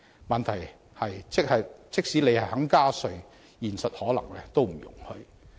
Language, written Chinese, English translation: Cantonese, 問題是，即使政府願意加稅，現實可能都不容許。, At issue is that even if the Government hopes to increase tax this may not be practicable in reality